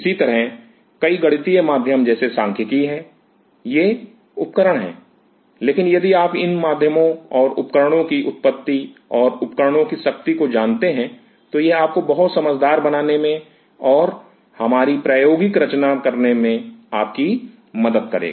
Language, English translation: Hindi, Similarly, several mathematical tools similarly like statics there are these are tools, but if you know the tools and the origin of the tools and the power of the tools, it will help you to become much wiser in designing our problem